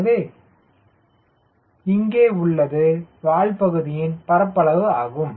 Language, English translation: Tamil, so it is also l, t, then tail area